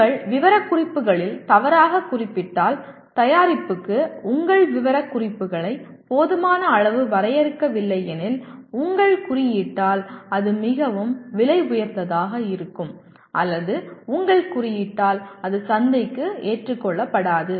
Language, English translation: Tamil, And if you err on the specifications, if you do not define your specifications adequately for the product, either it becomes too expensive if you over specify or if you under specify it will not be acceptable to the market